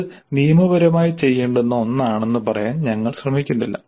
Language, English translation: Malayalam, We are not trying to say that this is something which is to be legislated